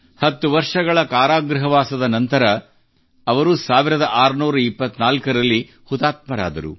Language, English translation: Kannada, In 1624 after ten years of imprisonment she was martyred